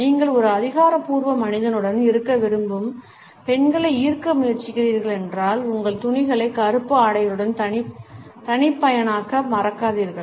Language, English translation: Tamil, If you are trying to attract girls who want to be with an authoritative man, then do not forget to customize your wardrobe with black clothes